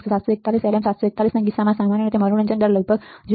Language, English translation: Gujarati, In case of 741 LM741 the typically slew rate is between about 0